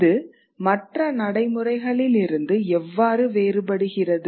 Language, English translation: Tamil, How is this different from other practices